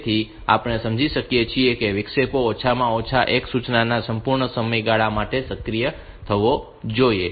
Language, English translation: Gujarati, So, we can understand that the interrupts should be activated for at least a complete duration of one instruction